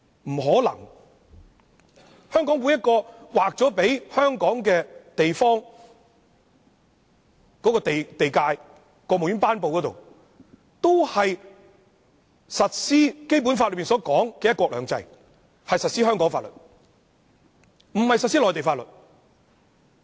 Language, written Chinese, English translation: Cantonese, 不可能，在香港，在每一個劃給香港的地方，都經過國務院頒布，是要實施《基本法》所說的"一國兩制"，是要實施香港法律，不是實施內地法律的。, This is not possible . In Hong Kong every plot of land demarcated to Hong Kong has been promulgated by the State Council where the principle of one country two systems enshrined in the Basic Law and the laws of Hong Kong instead of the Mainland laws shall be implemented